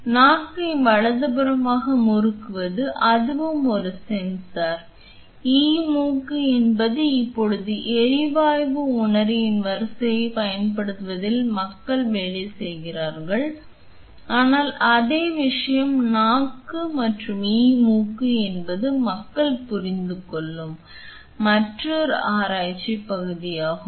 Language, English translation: Tamil, So, twisting of tongue right and that is also a sensor, e nose is something that right now people are working on which uses array of gas sensor, but same thing tongue e tongue is another research area where people are understanding how can you give the robot a sensing of human taste